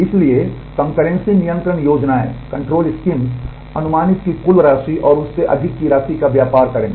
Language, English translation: Hindi, So, concurrency control schemes will trade off the amount of concurrency that is allowed and, the amount of over it